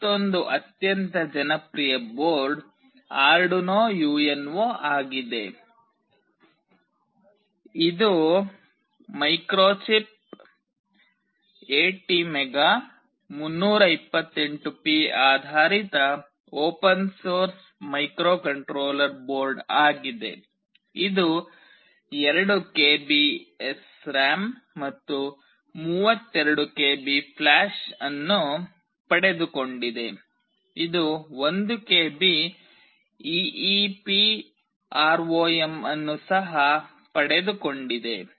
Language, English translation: Kannada, Another very popular board is Arduino UNO, which is a open source microcontroller board based on Microchip ATmega328P; it has got 2 KB of SRAM and 32 KB of flash, it has also got 1 KB of EEPROM